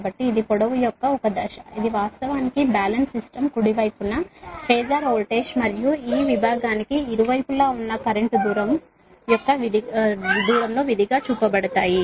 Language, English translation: Telugu, so this one phase of the length, this is actually balance system, right, the phasor voltage and current on both side of this segment are shown as a function of distance